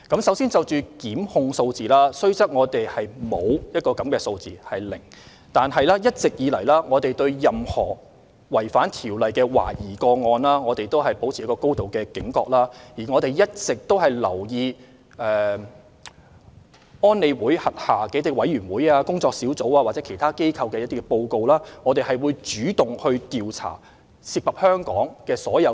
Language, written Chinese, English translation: Cantonese, 首先，就檢控數字，雖然我們的數字是"零"，但一直以來，我們對任何懷疑違反《條例》的個案都保持高度警覺，而且我們一直留意聯合國安理會轄下委員會、專家組或其他機構的報告，主動調查所有涉及香港的懷疑個案。, First of all regarding the number of prosecutions although the number is zero we all along have remained highly vigilant against any suspected violations of the Ordinance . Moreover we have been mindful of the reports of UNSC committees or expert panels and other organizations and actively investigating all suspected cases involving Hong Kong